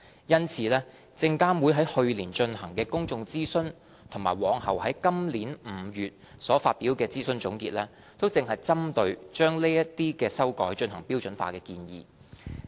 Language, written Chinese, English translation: Cantonese, 因此，證監會於去年進行的公眾諮詢及隨後於今年5月所發表的諮詢總結，正是針對把此等修改進行標準化的建議。, Actually the public consultation conducted last year and the consultation conclusions released this May both by SFC were on the standardization proposal only